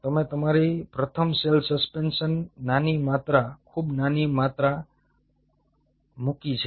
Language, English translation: Gujarati, you put your first a small amount of cell suspension, very small amount